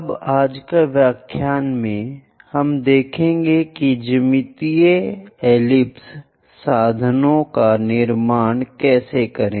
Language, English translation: Hindi, Now in today's lecture, we will see how to construct an ellipse geometrical means